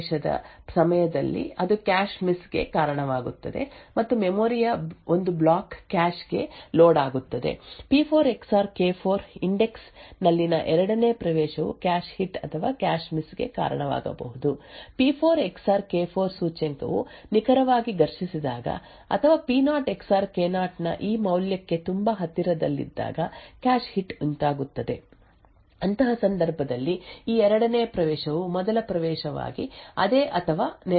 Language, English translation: Kannada, So during the first access at the location P0 XOR K0 that would result in a cache miss and one block of memory would get loaded into the cache, the second access at the index P4 XOR K4 could either result in a cache hit or a cache miss, a cache hit is incurred when the index P4 XOR K4 exactly collides or is very close to this value of P0 XOR K0, in such a case it would indicate that this second access is to the same or to a neighbouring location as the first access